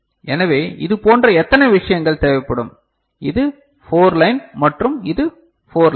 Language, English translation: Tamil, So, how many such things will be required so, this is 4 line and this is 4 line